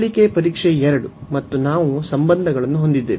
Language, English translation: Kannada, So, the comparison test 2 was again we have these relations